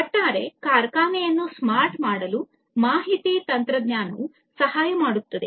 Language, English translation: Kannada, Information technology can help in making the overall factory smart